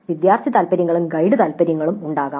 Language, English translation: Malayalam, There could be student preferences as well as guide preferences